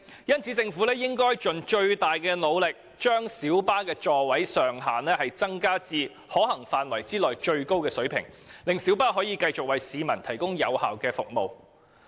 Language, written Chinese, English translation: Cantonese, 因此，政府應盡最大努力，將小巴座位上限提高至可行範圍內的最高水平，令小巴可以繼續為市民提供有效的服務。, Hence the Government should make all - out effort to increase the maximum seating capacity of light buses as far as possible so that light buses can continue to provide effective services to the public